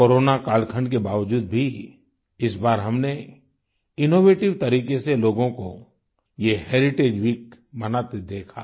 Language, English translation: Hindi, In spite of these times of corona, this time, we saw people celebrate this Heritage week in an innovative manner